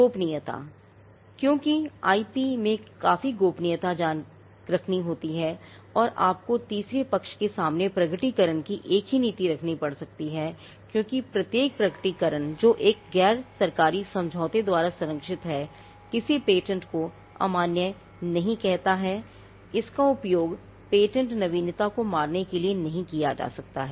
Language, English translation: Hindi, Confidentiality: because IP involves quite a lot of confidential information and you may have to have a policy on disclosure itself to third parties because every disclosure that is protected by a nondisclosure agreement does not invalidate a patent, it cannot be used for killing the patent novelty